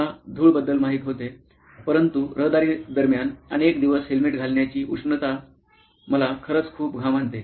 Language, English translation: Marathi, I knew about the dust, but the heat of wearing the helmet for a long time during traffic actually leads to a lot of sweating